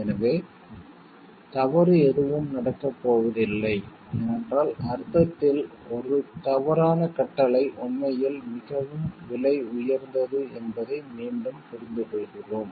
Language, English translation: Tamil, So, that nothing wrong is going to happen because again we understand 1 wrong command in the sense is really very costly